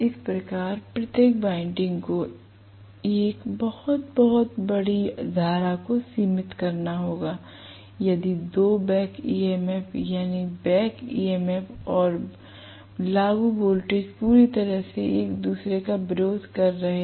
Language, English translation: Hindi, So, each of this windings have to limit a very very large current if the two back EMF’s, that is the back EMF and the applied voltage are completely opposing each other right